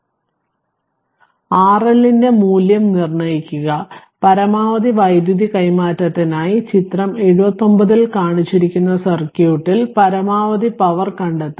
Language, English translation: Malayalam, So, determine the value of R L for maximum power transfer, in the circuit shown in figure 79 also find the maximum power